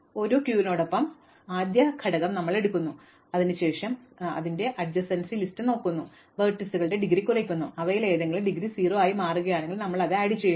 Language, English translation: Malayalam, So, as long as the queue is not empty we take of the first element of the queue, then we look at its adjacency list, decrement the indegrees of all those vertices and if any of them happens to now become indegree 0, we add it to the queue